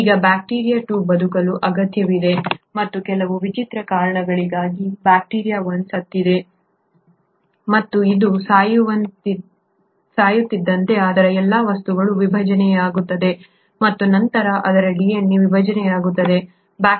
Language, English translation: Kannada, Now bacteria 2 is needs to survive and for some strange reason, the bacteria 1 has either died and as its dies all its material is disintegrating and then its DNA gets fragmented